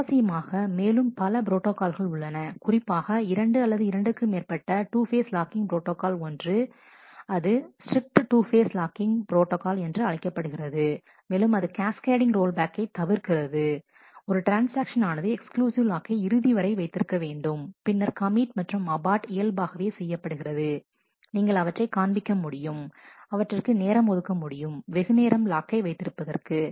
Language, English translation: Tamil, ah Interestingly there are several other protocols and particularly two more two phase locking protocol 1 is called strict 2 phase locking, which avoids cascading roll back, where a transaction must hold all exclusive locks till it finally, commits and aborts naturally you can figure out that you are making the time for the transaction to hold lock longer